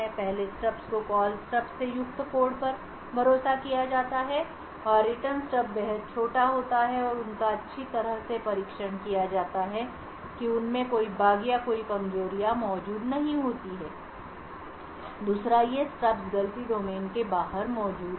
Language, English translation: Hindi, so now there are certain properties for these stubs first the stubs are trusted the code comprising of the Call Stub and the Return Stub are extremely small and they are well tested and there are no bugs or anyone vulnerabilities present in them, second these stubs are present outside the fault domain